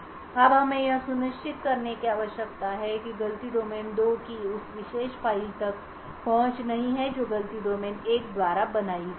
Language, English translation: Hindi, Now we need to ensure that fault domain 2 does not have access to that particular file which has been created by fault domain 1